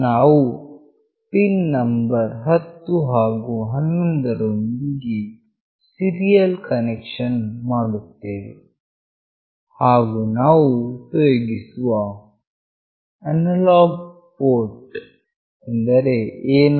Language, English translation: Kannada, We are making the serial connection with pin number 10 and 11, and the analog port we are using A0